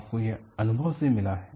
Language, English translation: Hindi, You have got it by experience